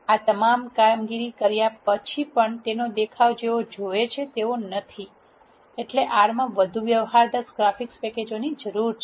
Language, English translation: Gujarati, Even though you do all of this operations, the visuals are less pleasing that is where we need more sophisticated graphics packages in R